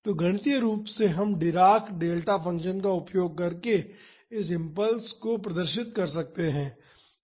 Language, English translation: Hindi, So, mathematically we can represent this impulse force using dirac delta function